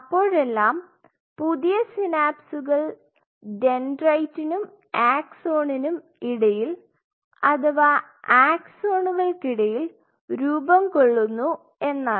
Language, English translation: Malayalam, So, what we are talking about the synapses actually form between or dendrite and an axon or even an axon and axons in other locations which they form synapses